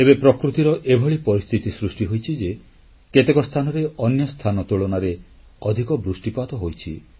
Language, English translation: Odia, It's a vagary of Nature that some places have received higher rainfall compared to other places